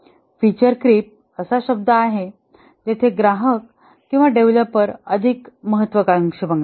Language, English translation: Marathi, Feature creep is the world where the customers or the developers become more ambitious